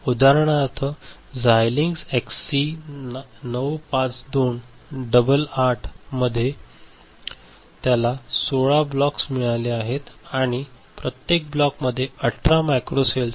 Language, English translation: Marathi, For examples Xilinx XC 952 double 8, it has got 16 blocks and in each block there are 18 macro cells ok